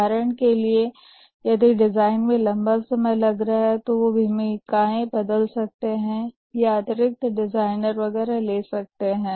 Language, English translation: Hindi, For example, that the design is taking long time, then might change the roles, might get additional designers, and so on